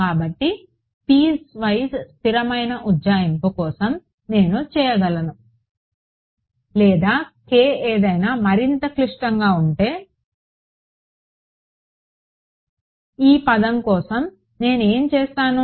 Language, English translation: Telugu, So, point piecewise constant approximation I can make for or if k is something more complicated there is no problem what will I do for this term